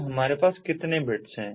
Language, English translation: Hindi, so how many bits we have